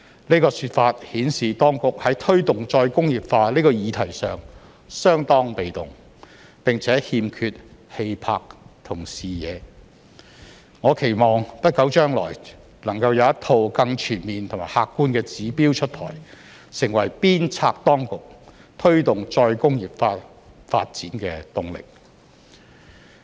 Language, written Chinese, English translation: Cantonese, 這個說法顯示當局在推動再工業化這個議題上相當被動，並且欠缺氣魄和視野，我期望不久將來能夠有一套更全面和客觀的指標出台，成為鞭策當局推動再工業化發展的動力。, This response shows that the authorities are quite passive in promoting re - industrialization and lack verve and vision . I hope that there will be a set of more comprehensive and objective indicators to spur the authorities to promote the development of re - industrialization in the near future